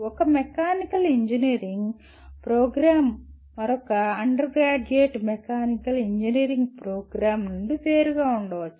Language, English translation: Telugu, They can, one Mechanical Engineering program can differentiate itself from another undergraduate mechanical engineering program